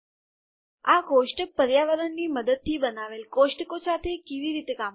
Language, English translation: Gujarati, How do we work with the tables created using the tabular environment